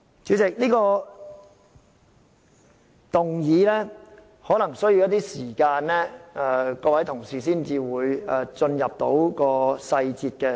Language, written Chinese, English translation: Cantonese, 主席，各位同事可能需要一些時間了解這項議案的細節，才可進入辯論。, President Honourable colleagues may need some time to understand the details of this motion before engaging in the debate